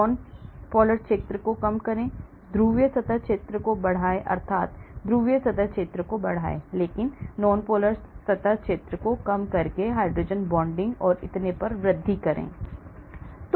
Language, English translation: Hindi, reduce nonpolar area, increase polar surface area that means increase polar surface area but reduce nonpolar surface area increase hydrogen bonding and so on